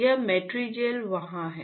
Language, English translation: Hindi, This Matrigel is there